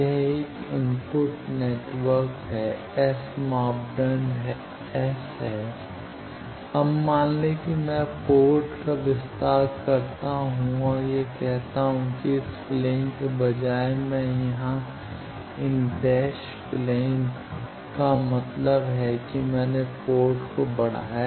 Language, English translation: Hindi, It is an input network the S parameter is S, now suppose I extend the port and put that instead of this plane I say these dash plane here that means, I have extended the port